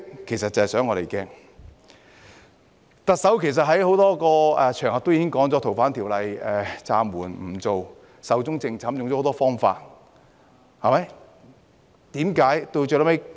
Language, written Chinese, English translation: Cantonese, 其實，特首在多個場合表示《逃犯條例》修訂已經暫緩、壽終正寢，用了很多方法解釋。, In fact the Chief Executive had said on many occasions that the amendments to the Fugitive Offenders Ordinance had been put on hold and were dead . She used many ways to explain this